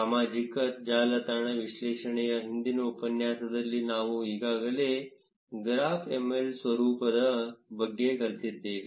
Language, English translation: Kannada, We already learnt about graphml format in the previous tutorial on social network analysis